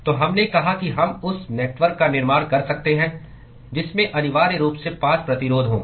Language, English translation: Hindi, So, we said that we could construct the network which has essentially 5 resistances